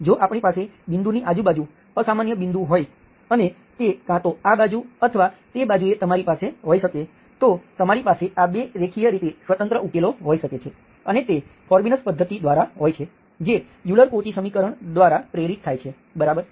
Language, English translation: Gujarati, If we have a singular point around the point, either this side or that said, you can have, you can have solutions, 2 linearly independent solutions, that is by the Frobenius method, motivated by the Euler Cauchy equation, okay